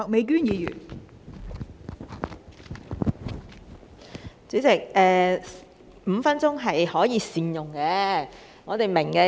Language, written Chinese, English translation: Cantonese, 代理主席，我們明白5分鐘也是可以善用的。, Deputy President I understand that five minutes can also be made good use of